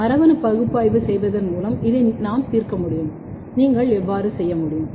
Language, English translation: Tamil, this we can solve by having a genetic analysis by doing performing genetic analysis, how you can do